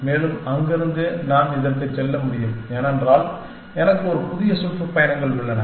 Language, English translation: Tamil, And from there, I can go to this because, I have a new tours essentially